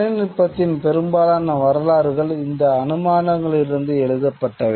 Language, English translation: Tamil, At most histories of technology are written from these assumptions